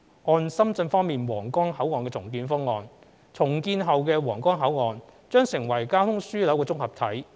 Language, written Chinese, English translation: Cantonese, 按深圳方面的皇崗口岸重建方案，重建後的皇崗口岸將成為交通樞紐綜合體。, According to Shenzhens redevelopment plan of the Huanggang Port the redeveloped Huanggang Port will become a transport hub